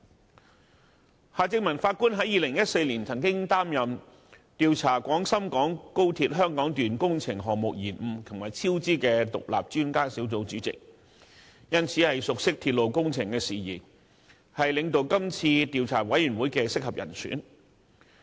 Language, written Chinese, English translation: Cantonese, 法官夏正民曾於2014年擔任調查廣深港高鐵香港段工程項目延誤和超支的獨立專家小組主席，熟悉鐵路工程事宜，是領導調查委員會的合適人選。, In 2014 Mr Justice Michael John HARTMANN was the Chairman of the Independent Expert Panel to inquire into the delays and cost overruns of the Hong Kong Section of the Guangzhou - Shenzhen - Hong Kong Express Rail Link XRL project . Being well - versed in railway projects he is therefore the appropriate person to lead the Commission of Inquiry